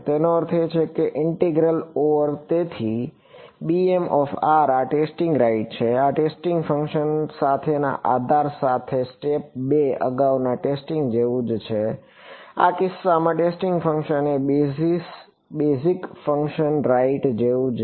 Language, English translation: Gujarati, It means that an integral over so, b m r this is testing right, this is same as step 2 earlier testing with a basis with the testing function, in this case the testing function is the same as a basis function right